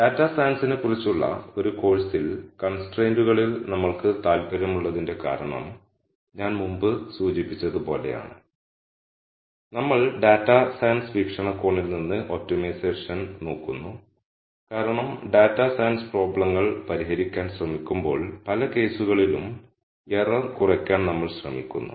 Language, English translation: Malayalam, The reason why we should be interested in this in a course on data science; the reason why we are interested in constraints in optimization is as I mentioned before, we look at optimization from a data science viewpoint because we are trying to minimize error in many cases, when we try to solve data science problems